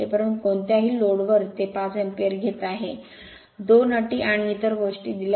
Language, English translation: Marathi, But at no load it is taking 5 ampere, 2 conditions and other things are given right